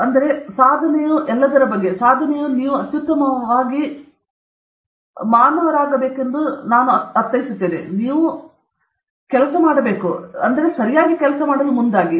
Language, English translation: Kannada, So, achievement is all about, achievement is all about optimal nervousness; I mean you should be optimally nervous, you should be optimally stressed, and then, with that, this propels you to work harder okay